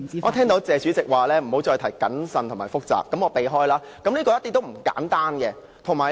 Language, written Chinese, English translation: Cantonese, 我聽到"謝主席"說不要再提"謹慎"和"複雜"，那麼我盡量避免。, Since I heard President TSE warn me against mentioning cautious and complexity again I will try to refrain from doing so by all means